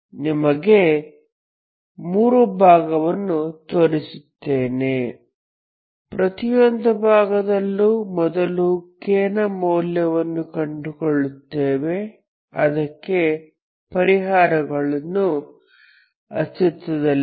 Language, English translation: Kannada, So I will demonstrate you will have three cases, in each case first of all you will find what are the values of k for which you have the solutions